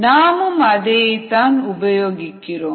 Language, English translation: Tamil, so that is what we are using